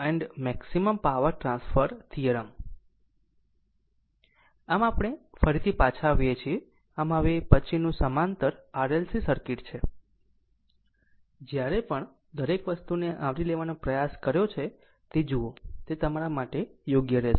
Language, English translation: Gujarati, So next we we are back again, so, next parallel RLC circuit right, look whenever making it trying to cover each and everything, it will be it will be helpful for you right